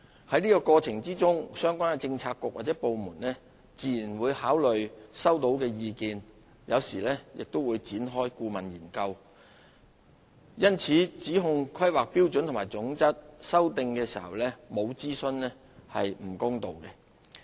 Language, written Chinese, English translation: Cantonese, 在過程中相關政策局和部門自然會考慮收到的意見，有時亦會展開顧問研究，因此指控《規劃標準》修訂時沒有進行諮詢是不公道的。, In the course of it the relevant bureaux and departments will naturally consider the collected views and sometimes commission consultancy study it is therefore unfair to accuse that HKPSG has been revised without consultation